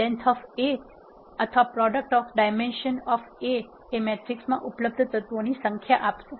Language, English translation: Gujarati, Either length of a or product of dimensions of A will return the number of elements that are existing in the matrix